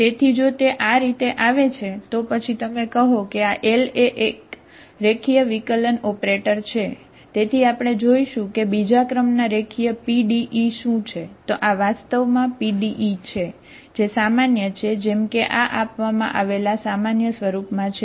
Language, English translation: Gujarati, So if it comes like this, then you say that this L is a linear differential operator, okay